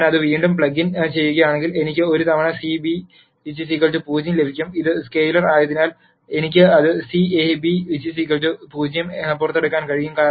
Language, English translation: Malayalam, Then if I plug it back in I will get A times C beta equal to 0 which because this is scalar I can take it out C A beta equal to 0